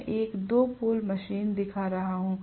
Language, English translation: Hindi, This is created; I am showing a 2 pole machine